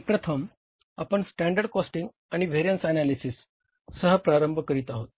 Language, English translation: Marathi, Now, standard costing and variance analysis